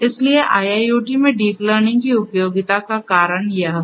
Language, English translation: Hindi, So, the reason for the usefulness of deep learning in IIoT is like this